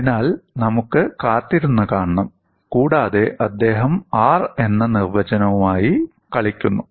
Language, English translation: Malayalam, So, we have to wait and see, and he plays with the definition of R